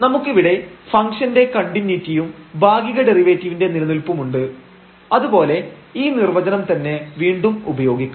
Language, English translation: Malayalam, So, we have the continuity of the function and the existence of partial derivatives also we can use this definition again